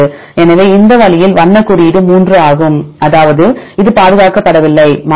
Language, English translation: Tamil, So, this way the color code is 3 that mean this is not conserved this is variable